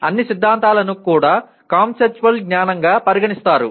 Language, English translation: Telugu, All theories are also considered as conceptual knowledge